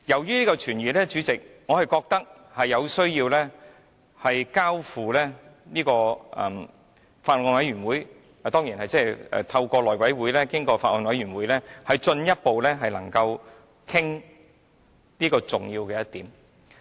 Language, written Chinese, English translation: Cantonese, 因此，主席，我覺得有需要透過內務委員會交付法案委員會研究，由法案委員會進一步討論這重要的一點。, Therefore President I think it is necessary to refer the Bill to a Bills Committee through the House Committee so that the former can study the Bill and further discuss this salient point